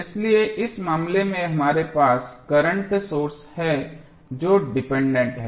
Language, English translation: Hindi, So, here in this case we have the current source which is dependent